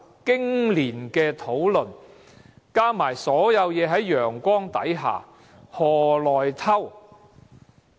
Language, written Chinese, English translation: Cantonese, 經年的討論，加上所有事在陽光之下，何來"偷"？, After years of discussion and everything being put under the sun how could we spring a surprise attack?